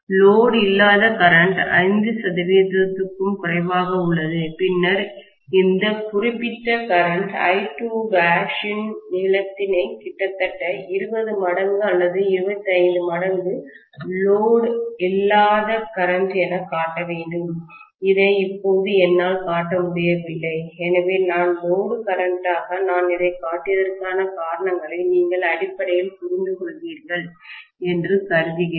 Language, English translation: Tamil, The no load current is only less than 5 percent, then I should show the length of this particular current I2 dash as almost 20 times or 25 t imes whatever is my no load current, which right now I am not able to show, so I am assuming that you guys understand basically the constraints that the reason I have shown this as the load current